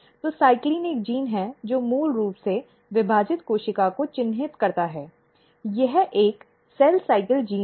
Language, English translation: Hindi, So, CYCLIN is a gene which is which basically marks the dividing cell it is a cell cycle gene, so it is marks the dividing cell